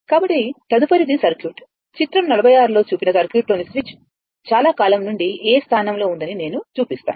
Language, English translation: Telugu, So, next is, next is circuit, I will show you the switch in the circuit shown in figure 46 has been in position A for a long time